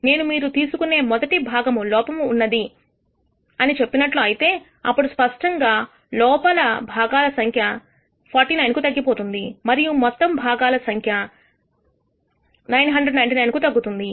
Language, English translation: Telugu, Suppose, I tell you that the first part that you do was a defective part, then clearly the total number of defective parts have decreased to 49 and the total number of parts has decreased to 999